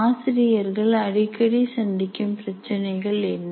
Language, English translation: Tamil, And what are these problems teachers face frequently